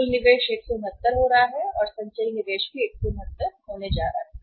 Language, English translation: Hindi, Total investment is going to be 169 and cumulative investment is also going to be 169